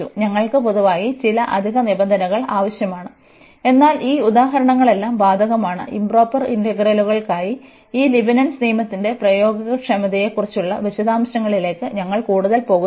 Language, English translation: Malayalam, We need some extra conditions in general, but all these examples that is applicable and we are not going much into the details about the applicability of this Leibnitz rule for improper integrals